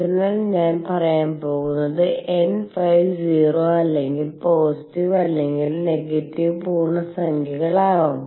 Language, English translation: Malayalam, So, I will going to say n phi could be 0 or positive or negative integers